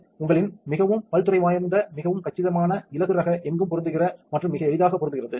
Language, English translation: Tamil, Now, you have it very versatile very compact lightweight fits in anywhere and very easily